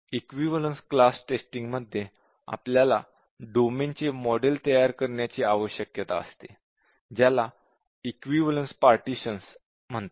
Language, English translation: Marathi, In equivalence class testing, we need to construct a model of the domain, called as the equivalence partitions